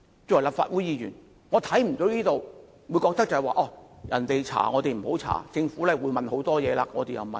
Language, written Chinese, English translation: Cantonese, 作為立法會議員，我不認同我們不應該調查政府將會調查的事情。, As a Member of the Legislative Council I disagree with the view that we should not inquire into a matter which the Government will investigate